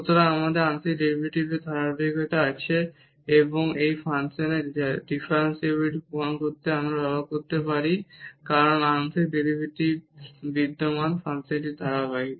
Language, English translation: Bengali, So, we have the continuity of the partial derivative and that we can use now to prove the differentiability of this function because the partial derivatives exist, function is continuous